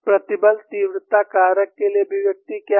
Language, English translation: Hindi, What is the expression for stress intensity factor